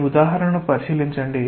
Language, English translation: Telugu, Just consider this example